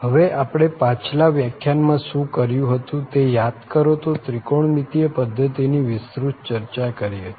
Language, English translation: Gujarati, So, just to recall form the previous lecture what we have done that was the trigonometric system which was discussed in detail